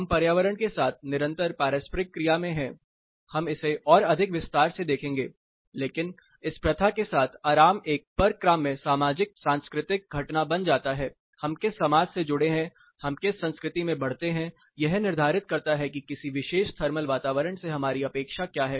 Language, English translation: Hindi, We are under constant interaction with the environment, we will look at it in more detail, but with this practice comfort becomes a negotiable socio cultural phenomenon, which society we belong to what culture we grow up in this determines what our expectation to a particular thermal environment